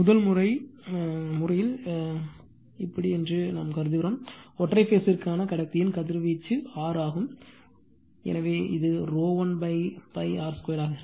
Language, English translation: Tamil, We are assuming that a radiation of the conductor for the single phase is R right, so it will be rho l upon pi r square